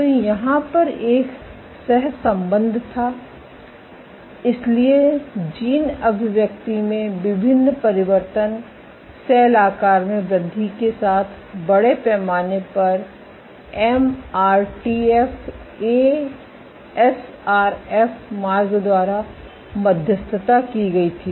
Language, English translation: Hindi, So, there was a correlation so the differential changes in gene expression, with increase in cell size were largely mediated by the MRTF A SRF pathway